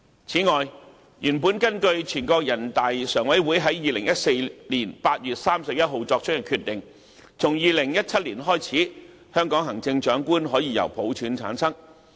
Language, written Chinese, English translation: Cantonese, 此外，原本根據全國人民代表大會常務委會在2014年8月31日作出的決定，從2017年開始，香港行政長官可以由普選產生。, Moreover according to the decision of the Standing Committee of the National Peoples Congress on 31 August 2014 the Chief Executive of Hong Kong could be elected by universal suffrage starting from 2017